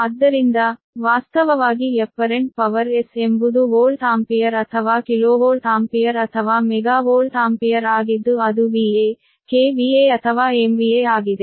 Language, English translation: Kannada, so actually, where s in general, that is your s, is apparent power, that is volt ampere or kilovolt ampere or mega volt ampere, that is v a, k v a or m v a